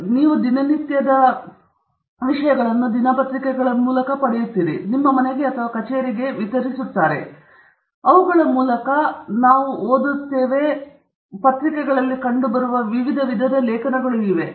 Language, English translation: Kannada, So, you get newspapers everyday, delivered to your home or to your office, and we will tend to look through them, leaf through them, read them, and there is a wide range of different types of articles that appear in newspapers